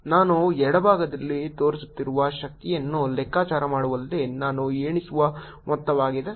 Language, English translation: Kannada, this is the amount that i am over counting in calculating the energy that i am shown in the left